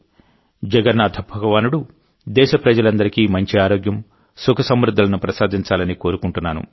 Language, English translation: Telugu, I pray that Lord Jagannath blesses all countrymen with good health, happiness and prosperity